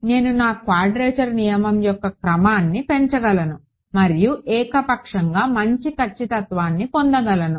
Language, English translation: Telugu, I can increase the order of my quadrature rule and get arbitrarily good accuracy right